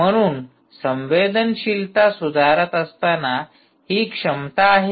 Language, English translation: Marathi, so, while sensitivity improves its ability to